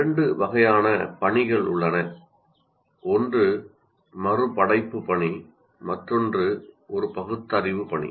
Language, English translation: Tamil, One is reproduction task and the other is a reasoning task